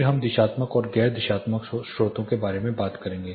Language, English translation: Hindi, Then we will talk about the directional and non directional sources